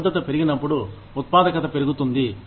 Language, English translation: Telugu, When the commitment goes up, the productivity increases